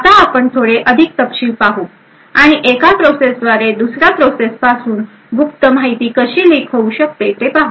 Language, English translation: Marathi, Now we will look a little more detail and we would see how one process can leak secret information from another process